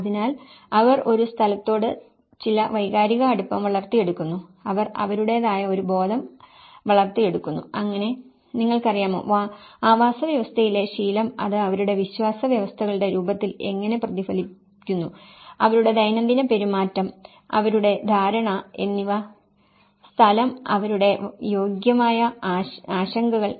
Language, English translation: Malayalam, So, they develop certain emotional attachment to a place, they develop a sense of belonging to it so where, you know, the habit in the habitat how it is reflected in the form of their belief systems, how their daily behaviours, their understanding of the place, their eligible concerns